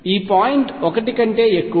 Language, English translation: Telugu, This point is greater than 1